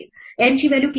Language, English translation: Marathi, What is the value of n